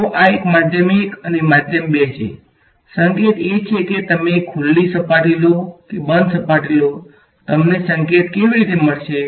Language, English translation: Gujarati, So, this is a medium 1 and 2, the hint for whether you take a open surface or a closed surface how would you get that hint